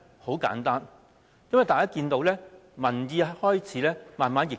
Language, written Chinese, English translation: Cantonese, 很簡單，因為大家看到民意已開始慢慢逆轉。, This is simply because the public opinion is gradually reversing